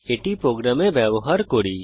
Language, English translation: Bengali, Now Let us use it in our program